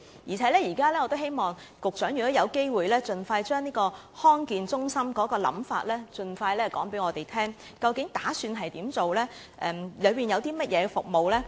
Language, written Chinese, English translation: Cantonese, 如果有機會，我希望局長盡快將地區康健中心的構思告訴我們，究竟當局打算怎樣做，以及當中會提供甚麼服務呢？, I hope the Secretary will tell us about the proposition of the district health centre as soon as possible granting the opportunity . What do the authorities actually intend to do and what services will be provided?